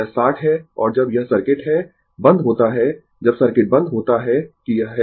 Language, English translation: Hindi, This is ah your 60 and when it is circuit is closed, when circuit is closed right, that this is